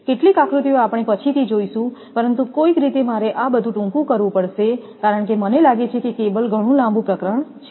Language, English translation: Gujarati, Some diagram will see later, but somehow I have to condense everything because this I found cable is a very long chapter